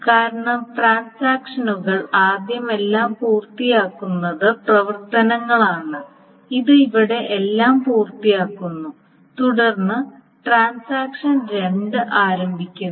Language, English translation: Malayalam, Because you see transaction once first completes all its operations, it finishes everything here and then transaction two starts